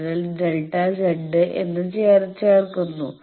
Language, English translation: Malayalam, So, you are adding that delta Z